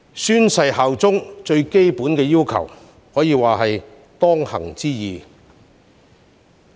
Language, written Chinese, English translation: Cantonese, 宣誓效忠是最基本的要求，可說是當行之義。, Swearing allegiance is hence the most fundamental requirement and a due obligation